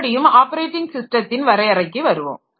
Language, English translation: Tamil, So, that defines what is an operating system